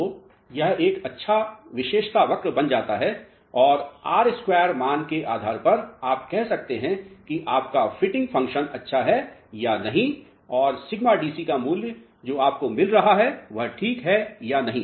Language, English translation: Hindi, So, this becomes a good characteristic curve and depending upon the R square value you can say whether your fitting function is good or not and the value of sigma DC which you are getting is ok or not